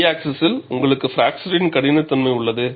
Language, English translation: Tamil, On the y axis, you have the failure stress